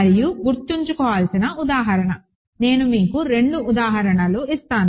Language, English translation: Telugu, And example to keep in mind, I will give you two examples